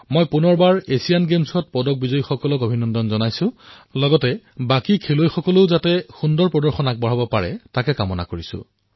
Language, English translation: Assamese, Once again, I congratulate the medal winners at the Asian Games and also wish the remaining players perform well